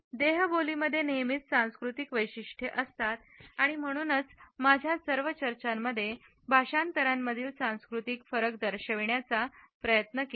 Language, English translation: Marathi, Body language as always cultural specific and therefore, in all my discussions I have tried to point out the cultural differences in the interpretations